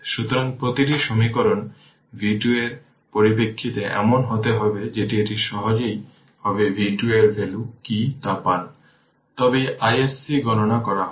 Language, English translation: Bengali, So, everything equation you will get in terms of v 2 such that you will easily get what is the value of v 2, then only we will compute I s c